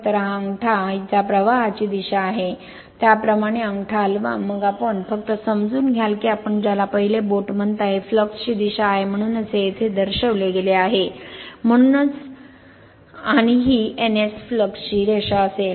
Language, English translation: Marathi, So, move it like this thumb is the direction of the current, then you just grasp that your what you call the finger 1, this is the direction of the flux that is why this is shown here, that is why this is shown here right, and this N to S that flux line will be N to S